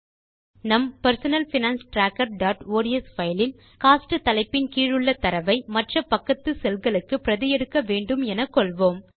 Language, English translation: Tamil, In our Personal Finance Tracker.ods file, lets say we want to copy the data under the heading Cost to the adjacent cells